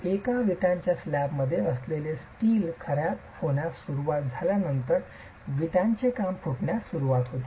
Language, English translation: Marathi, Once the steel that's present in the brick slab starts corroding, the brickwork starts spalling